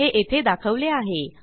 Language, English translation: Marathi, This is shown here